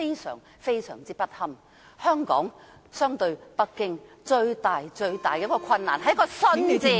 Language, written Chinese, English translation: Cantonese, 相比北京，香港最大的困難是一個"信"字。, The greatest difficulty encountered by Hong Kong in the face of Beijing lies in the word trust